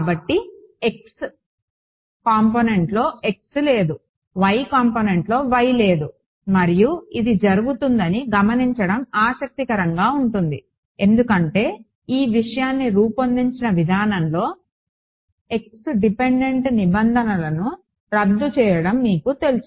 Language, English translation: Telugu, So, it is interesting to note that in the x component there is no x, in the y component there is no y and that just happens because, of the way in which this thing is designed these you know the x dependent terms cancel off ok